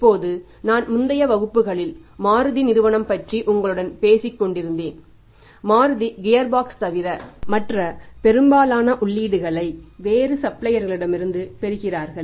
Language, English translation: Tamil, Now if I was talking to you in the previous classes sometime that is a Maruti, Maruti is depending for its most of the inputs from the different suppliers other than the gearbox Maruti is not manufacturing anything